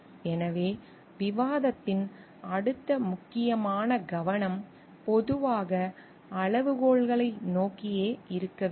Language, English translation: Tamil, So, the next important focus of the discussion should generally be focused towards the criteria